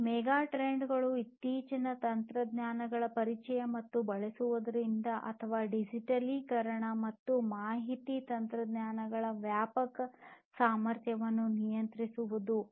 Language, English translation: Kannada, These megatrends are due to the introduction of recent technologies and using or leveraging the pervasive potential of digitization and information technologies